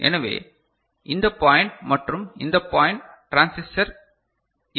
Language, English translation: Tamil, So, this point and this point we do not have transistor, is it fine